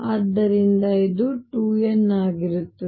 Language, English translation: Kannada, So, this is going to be 2 n